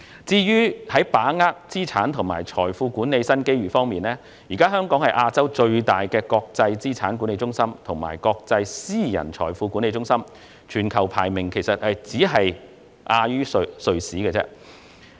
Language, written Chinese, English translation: Cantonese, 在把握資產及財富管理新機遇方面，香港現時是亞洲最大的國際資產管理中心及國際私人財富管理中心，全球排名僅次於瑞士。, On seizing new opportunities in asset and wealth management Hong Kong is currently the largest international asset management hub and international private wealth management centre in Asia and second only to Switzerland in the world